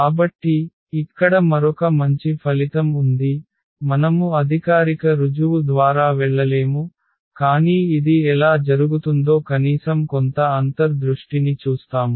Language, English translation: Telugu, So, there is another nice result here we will not go through the formal proof, but we will see at least some intuition how this is happening